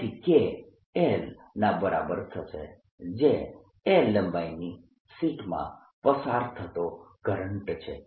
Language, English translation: Gujarati, so this gives me k, l, which is the current, indeed passing through length l of the sheet